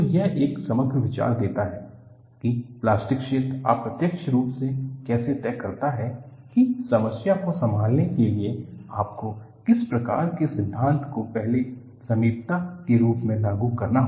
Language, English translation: Hindi, So, this gives an overall idea how plastic zone indirectly dictates, which type of theory you have to invoke as a first approximation to handle the problem